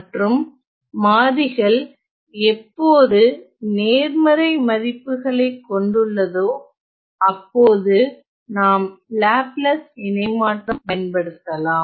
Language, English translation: Tamil, And whichever values take only the positive values that is the candidate for Laplace transform